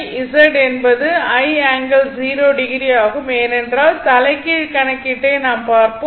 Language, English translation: Tamil, So, this is also V by Z is i angle 0 degree, because I just show you the reverse calculation